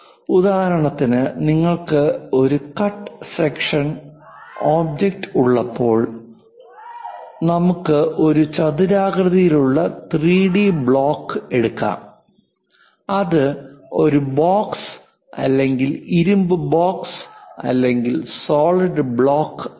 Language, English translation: Malayalam, For example, when you are having a cut sections object for example, let us take a rectangular block 3D one; it can be a box, iron box, solid block